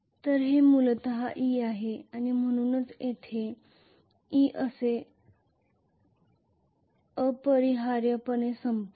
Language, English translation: Marathi, So that is essentially e so it will essentially end up here as e